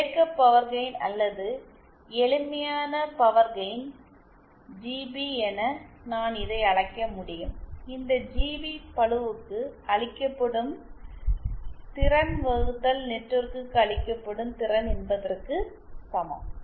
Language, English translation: Tamil, I can call this as operating power gain or simply power gain GP is equal to power delivered to the load upon power delivered to the network